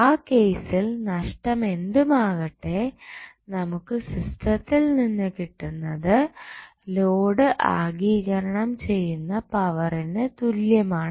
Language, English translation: Malayalam, So, in that case loss, whatever we get in the system would be equal to whatever power is being absorbed by the load